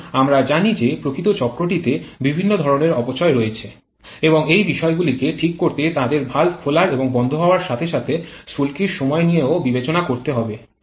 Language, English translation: Bengali, Now we know that there are several kinds of losses present in the actual cycle and to take care of that we may have to play around with the opening and closing of valves and also timing of spark